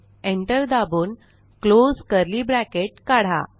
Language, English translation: Marathi, Press Enter and close curly bracket